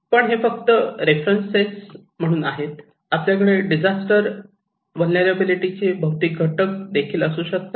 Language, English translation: Marathi, But this is just for as a reference; we can have also physical factors of disaster vulnerability